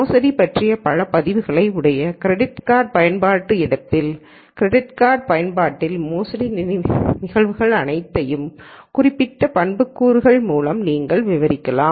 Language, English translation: Tamil, Where you could have lots of records of fraudulent let us say credit card use and all of those instances of fraudulent credit card use you could describe by certain attribute